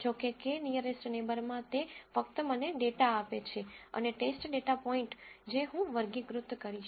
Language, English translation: Gujarati, However, in k nearest neighbor it just give me data and a test data point I will classify